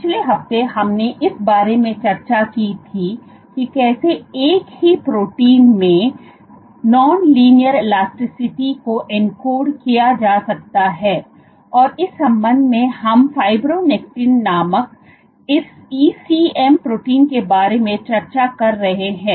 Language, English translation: Hindi, The last week we had discussed about how non linear elasticity can be encoded in a single protein, and in that regard, we were discussing about this ECM protein called fibronectin